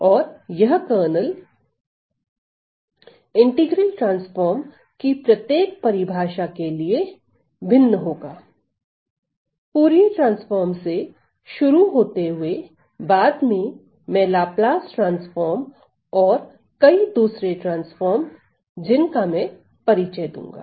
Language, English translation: Hindi, And this kernel is going to vary from each definition of the integral transforms say starting from Fourier transform later onto Laplace transform, and many other transforms that I am going to introduce